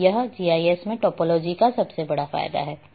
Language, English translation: Hindi, And this is what one of the biggest advantage of topology in GIS